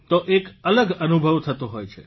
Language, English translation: Gujarati, So it's a different feeling